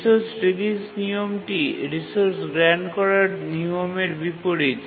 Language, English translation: Bengali, It's just the reverse of the resource grant rule